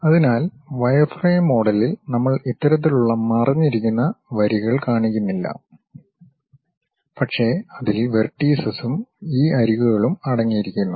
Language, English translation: Malayalam, So, in wireframe model we do not show this kind of hidden lines, but it contains vertices V and these edges